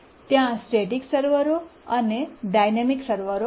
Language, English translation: Gujarati, There are static servers and dynamic servers